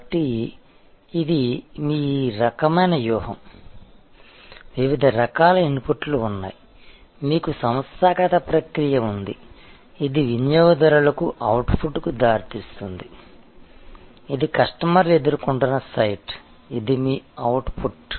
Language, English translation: Telugu, So, this is your kind of your strategy, there are various kinds of inputs, you have the organizational process, which is leading to the output to the customers, this is the customer facing site, this is your output